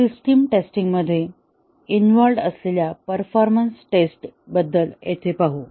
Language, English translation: Marathi, Let us look here about the system test, about the performance tests involved in system testing